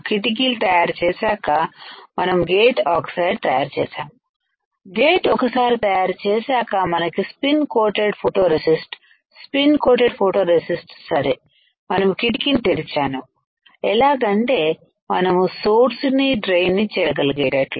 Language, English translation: Telugu, After creating a window, we created a gate oxide, after creating gate oxide we have spin coated photoresist after the spin coating photoresist right we have opened the window such that we can get the access to the source and drain